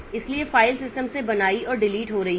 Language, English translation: Hindi, So, files are getting created and deleted from the system